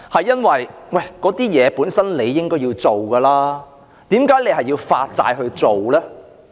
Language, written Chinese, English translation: Cantonese, 因為這些事情本身應該要做，但為何要發債來做呢？, Because these are what we ought to do but why should we achieve them through issuing bonds?